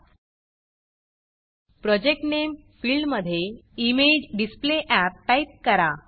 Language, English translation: Marathi, In the Project Name field, type ImageDisplayApp